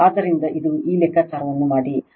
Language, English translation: Kannada, So, it just make this calculation